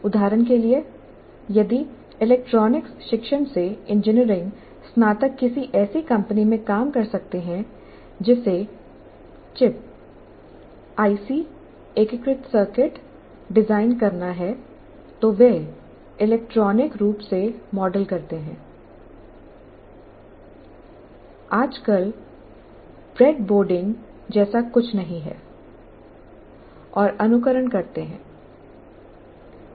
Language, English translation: Hindi, For example, if engineering graduates from electronics discipline works in a company that is supposed to design a chip, an IC integrated circuit, then the main tool they have is they model electronically